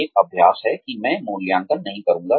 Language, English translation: Hindi, There is an exercise, that I will not be evaluating